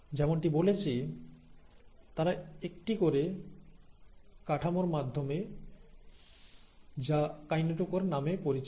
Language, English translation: Bengali, As I told you, they do that through this structure called as the kinetochore